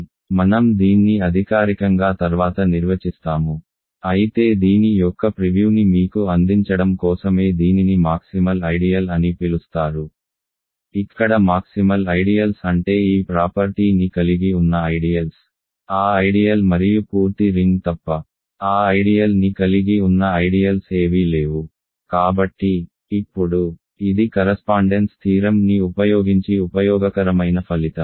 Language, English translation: Telugu, So, I will define this formally later, but this is just to give you a preview of this is called a maximal ideal where maximal ideals are ideas which have these this property that there are no ideals that contain that ideal other than that ideal that ideal itself and the full ring ok